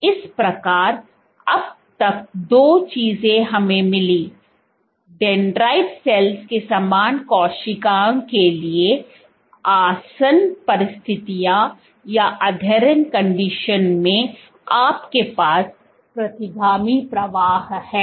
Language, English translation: Hindi, So, thus far two things we found; for dendritic cells, so under adherent conditions, you have retrograde flow